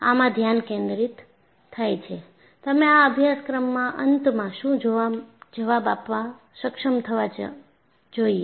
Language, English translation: Gujarati, So, this puts a focus, what you should be able to answer at the end of this course